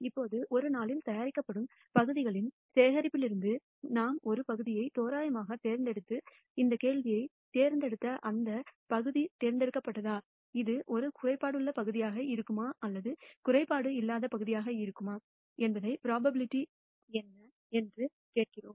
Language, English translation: Tamil, Now from the collection of parts produced in a day, we randomly choose one part and ask this question would this part that we have selected picked, would it be a defective part or what is the probability it will be a non defective part